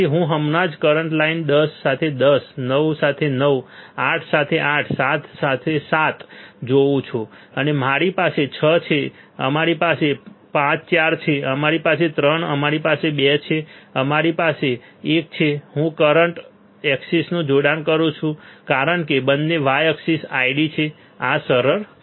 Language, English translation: Gujarati, So, I am just joining current line ten with ten 9 with 9 sorry 9 with 9 8 with 8 7 and see 7 then we have 6 we have 5 4 right we have 3 we have 2 and we have one right I have joined the current axis because both y axis are ID this is easy